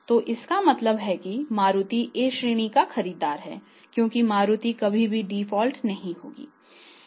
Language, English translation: Hindi, So it means Maruti is A class buyer because Maruti is never going to default they may ask for the longer credit period